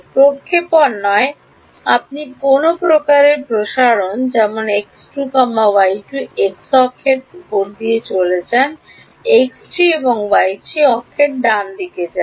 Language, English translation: Bengali, Well not projection you would some kind of expansion such that x 2, y 2 goes on the x axis x 3, y 3 goes on the y axis right